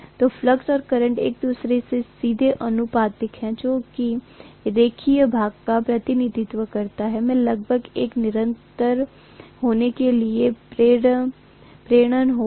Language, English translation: Hindi, So the flux and current are directly proportional to each other, which is the linear portion representing, I would have almost the inductance to be a constant